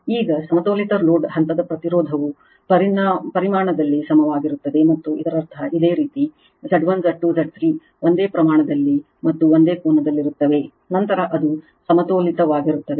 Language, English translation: Kannada, Now, for balanced load phase impedance are equal in magnitude and in phase right that means, your Z 1, Z 2, Z 3 are in this same magnitude and same angle right, then it is balanced